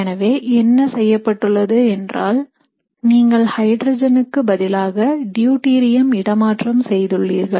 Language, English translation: Tamil, So typically what is done is you have hydrogen substituted with deuterium